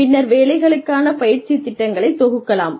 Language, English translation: Tamil, And, then compile, the training program for the jobs